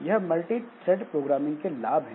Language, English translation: Hindi, So, that is the advantage of multi threaded programming